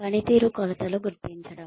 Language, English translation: Telugu, Identifying performance dimensions